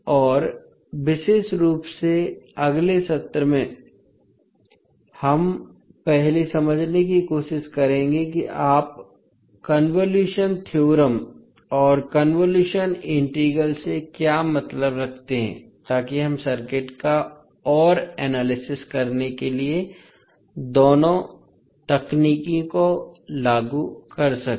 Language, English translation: Hindi, And particularly in next session, we will first try to understand, what do you mean by convolution theorem and convolution integral, so that we can apply both of the techniques to further analyze the circuits